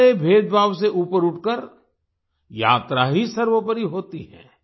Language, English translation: Hindi, Rising above all discrimination, the journey itself is paramount